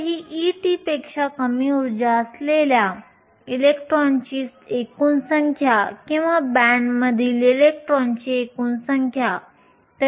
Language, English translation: Marathi, So, this is a total number of electrons with energy less than e t or the total number of electrons in a band